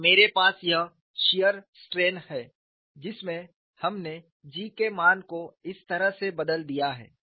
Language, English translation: Hindi, I have this shear strain in which we have replaced the value of G in this manner